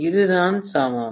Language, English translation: Tamil, This is what is the equivalent